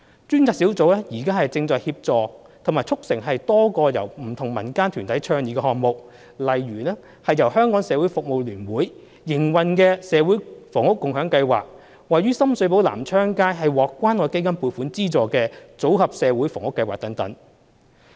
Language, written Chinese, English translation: Cantonese, 專責小組正在協助及促成多個由不同民間團體倡議的項目，例如由香港社會服務聯會營運的"社會房屋共享計劃"及獲關愛基金撥款資助位於深水埗南昌街的"組合社會房屋計劃"等。, The Task Force is curently assisting and facilitating a number of projects advocated by various non - governmental organizations including the Community Housing Movement operated by the Hong Kong Council of Social Service and the Modular Social Housing scheme located on Nam Cheong Street in Sham Shui Po which is supported by the Hong Kong Community Care Fund